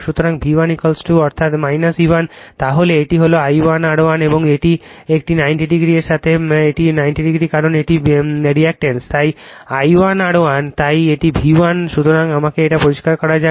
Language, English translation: Bengali, So, V 1 is equal to that is your minus E 1 then this one is I 1 R 1 and this one 90 degree with that this is 90 degree because it is reactance, so I 1 R 1, so this is my V 1, right